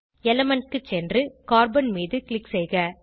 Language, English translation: Tamil, Scroll down to Element and click on Carbon